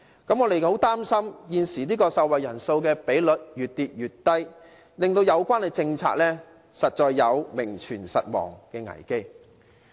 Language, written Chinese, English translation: Cantonese, 我們十分擔心受惠人數的比率越跌越低，令有關政策出現名存實亡的危機。, We are worried that with the continual drop in the number of beneficiaries this policy will exist in name only